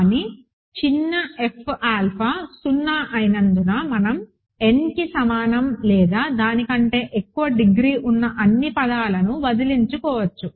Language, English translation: Telugu, But, because small f of alpha is 0 we can get rid of the all terms with the degree greater than equal to n, ok